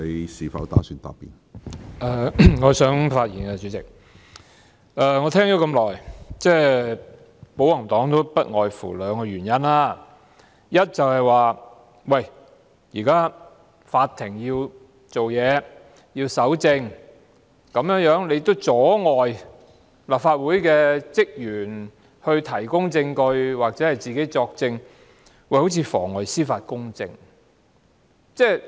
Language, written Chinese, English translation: Cantonese, 我聆聽了保皇黨的發言很久，他們提出的原因不外乎兩個：第一，現在法庭要審理案件，故此要搜證，如果我們阻礙立法會職員提供證據或出庭作供，便有妨礙司法公正之嫌。, I have listened to the speeches of the pro - Government camp for quite a long time . The reasons furnished by them are limited to two points . First now the Court is going to adjudicate on the case and collection of evidence is thus necessary